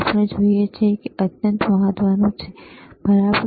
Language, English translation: Gujarati, What we see is extremely important, all right